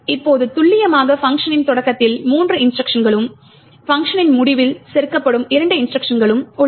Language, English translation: Tamil, Now precisely we have three instructions at the start of the function and two instructions that gets inserted at the end of the function